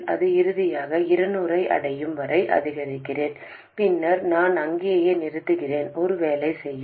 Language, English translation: Tamil, And I increase it finally until it reaches 200 and then I stop there